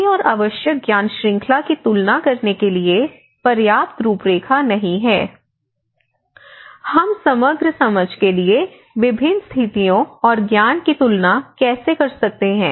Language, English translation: Hindi, The lack of framework to compare cases and essential knowledge series, so one has to see that there is not sufficient frameworks, how we can compare different cases and the knowledge in order to see a holistic understanding